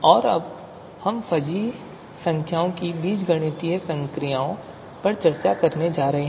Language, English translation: Hindi, And now what we are going to discuss is the algebraic operations with fuzzy numbers